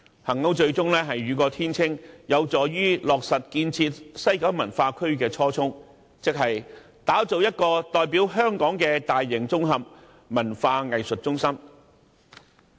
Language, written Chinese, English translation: Cantonese, 幸好，最終雨過天青，能落實建設西九文化區的初衷，即打造一個代表香港的大型綜合文化藝術中心。, Yet it is fortunate that everything turns out fine and we can achieve the original vision for the development of WKCD that is building a large - scale integrated cultural and art centre which can represent Hong Kong